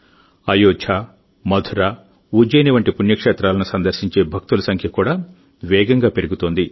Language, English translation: Telugu, The number of devotees visiting pilgrimages like Ayodhya, Mathura, Ujjain is also increasing rapidly